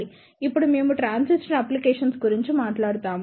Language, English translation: Telugu, Now, we will talk about the transistor applications